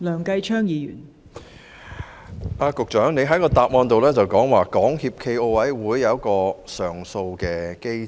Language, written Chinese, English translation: Cantonese, 局長的主體答覆提及，港協暨奧委會設有上訴機制。, As mentioned in the Secretarys main reply SFOC has put in place an appeal mechanism